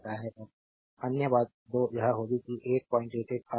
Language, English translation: Hindi, And other thing other 2 will be that 8